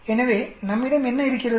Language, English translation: Tamil, So what we have